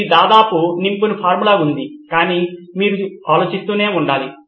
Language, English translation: Telugu, It’s almost like a form filled out but you need to keep doing the thinking